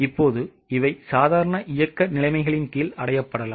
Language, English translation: Tamil, Now, these may be achieved under normal operating conditions